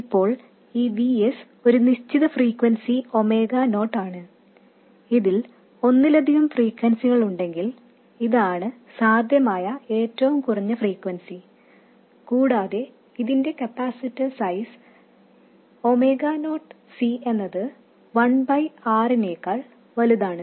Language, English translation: Malayalam, Now, this VS has a certain frequency omega not, if it consists of multiple frequencies this will be the minimum possible frequency and the capacity size such that omega not C is much more than 1 by r